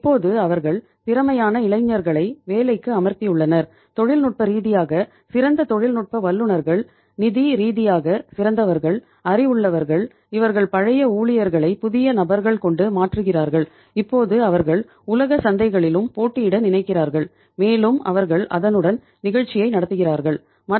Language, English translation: Tamil, Now they are hiring say efficient young people, technical people who are technically sound who are financial sound who are say knowledgeable people and they are replacing the old staff with the new people and now they are thinking of competing in the say world markets also and they are running the show with that